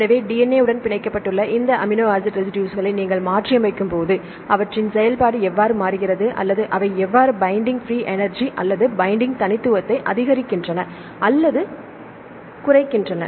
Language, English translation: Tamil, So, when you mutate these amino acid residues which are binding with the DNA and see how their activity changes or how they increase or decrease the binding free energy or the binding specificity